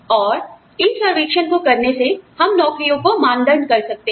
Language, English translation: Hindi, And so, by doing these surveys, we are able to, benchmark jobs